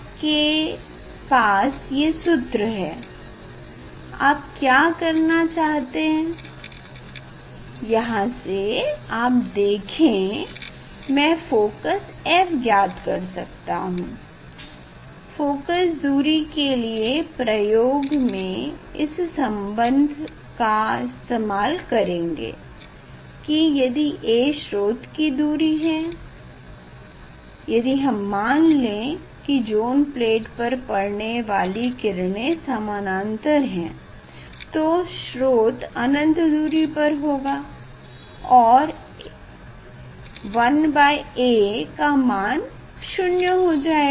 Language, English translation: Hindi, this relation is in your hand now what you want to do here, from here you can see f I can find it if I can find out the focal length; focal length for experiment what will do from this relation you see that if a is the source distance if now source if a if I take parallel rays if I take parallel rays source that light falling on the zone plate if it is parallel then we can take this is infinity object distance is at infinity